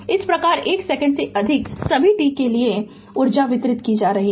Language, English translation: Hindi, Thus, energy is being delivered for all t greater than 1 right second